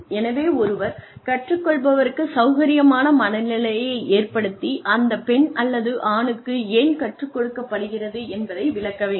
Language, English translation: Tamil, So, one should put the learner at ease, and explain why, she or he is being taught